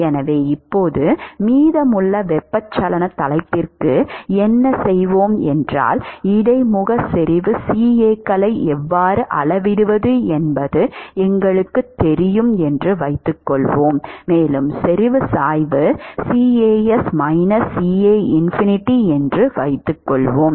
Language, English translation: Tamil, So, right now what we will do for rest of the convection topic is that we will assume that we know how to measure the interface concentration CAs and we will assume that the concentration gradient is CAs minus CAinfinity